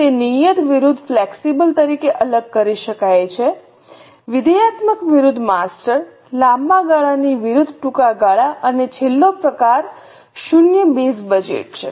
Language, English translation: Gujarati, It can be segregated as fixed versus flexible, functional versus master, long term versus short term and the last type is zero base budget